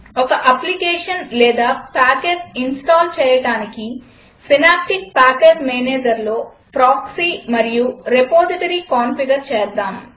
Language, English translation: Telugu, Let us configure Proxy and Repository in Synaptic Package Manager for installing an application or package